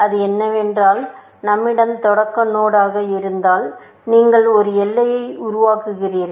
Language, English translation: Tamil, What it says is that if we were the start node, you create a boundary